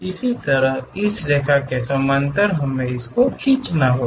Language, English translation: Hindi, Similarly, parallel to this line we have to draw this one